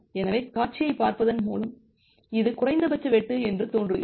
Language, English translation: Tamil, So, just by looking into the scenario, this seems to be the minimum cut because this is the minimum cut